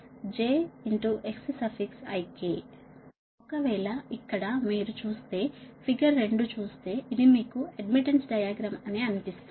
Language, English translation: Telugu, if you look, so though, figure two, look this: it shows that your what you call the admittance diagram